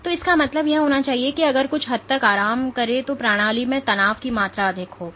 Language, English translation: Hindi, So, this should mean that if something should relax to a greater extent, than there was more amount of tension in the system